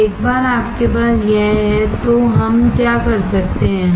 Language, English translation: Hindi, Now, once you have this, what we can do